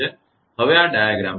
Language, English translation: Gujarati, Now look at this diagram